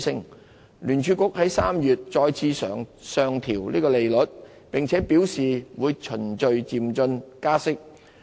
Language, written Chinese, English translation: Cantonese, 美國聯邦儲備局在3月再次上調利率，並表示會循序漸進加息。, The Federal Reserve of the United States raised interest rate again in March and signalled further tightening at a gradual pace